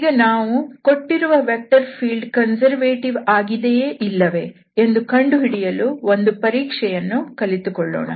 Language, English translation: Kannada, So, now, we will go for the test with the help of that test we can find out whether the given vector field is conservative or not